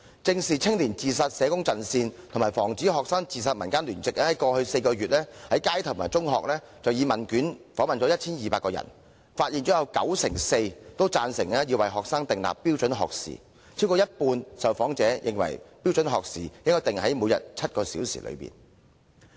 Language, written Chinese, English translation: Cantonese, 正視青年自殺社工陣線及防止學生自殺民間聯席在過去4個月，以問卷方式分別在街上和中學訪問 1,200 名人士，發現有九成四贊成要為學生訂立標準學時，更有超過半數受訪者認為標準學時應訂為每天7小時以內。, The Alliance of Social Workers Against Student Suicide and the Civil Alliance had conducted a questionnaire survey and interviewed 1 200 people in the streets and secondary schools over the past four months the findings showed that 94 % of the respondents supported the setting of standard learning hours for students and more than 50 % considered it appropriate for the standard learning hours to be less than seven hours a day